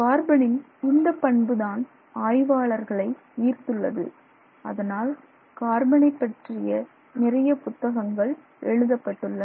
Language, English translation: Tamil, In fact, that is one of the things that fascinates people about carbon and which is why so many books are written about carbon